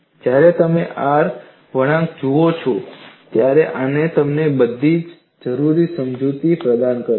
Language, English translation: Gujarati, When you look at an R curve, like this that provides you all the necessary explanation